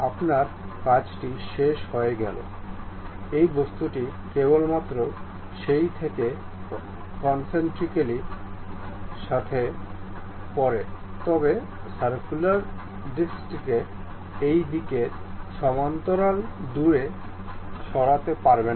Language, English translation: Bengali, Once you are done, this object can move concentrically out of that only, but you cannot really move this circular disc away parallel to this in this direction